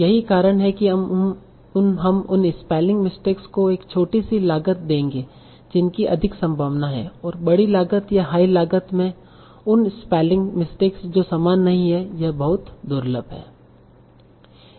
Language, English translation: Hindi, That's why we will give a smaller cost to those spelling mistakes that are more likely and a larger cost or a higher cost to those spelling mistakes that are not so like that are very very rare